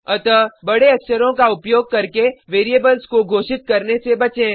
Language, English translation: Hindi, So avoid declaring variables using Capital letters